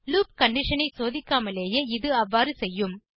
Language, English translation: Tamil, It will do so without checking the loop condition